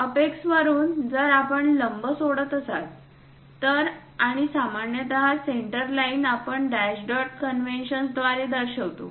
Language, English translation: Marathi, From apex, if we are dropping a perpendicular, and usually centre lines we represent by dash dot convention